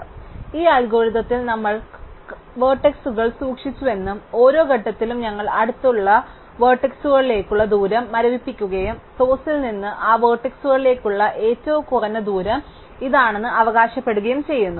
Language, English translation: Malayalam, So, recall that in this algorithm we kept burning vertices and at each stage we froze the distance to the nearest unburnt vertex and claim that this would in fact be the shortest distance to that vertex from the source